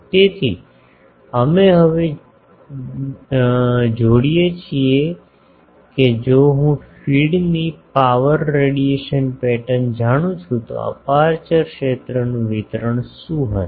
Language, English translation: Gujarati, So, we now relate that if I know this power radiation pattern of the feed, what will be the aperture field distribution